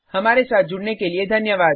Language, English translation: Hindi, Thank you for joining us